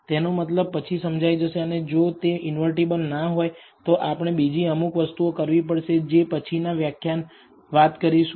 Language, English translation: Gujarati, The meaning of this will become little clearer later, and if it is not invertible we will have to do other things which we will again talk in another lecture